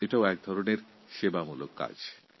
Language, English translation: Bengali, This is also a kind of service